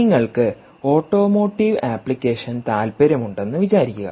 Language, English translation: Malayalam, let us say you are interested in automotive application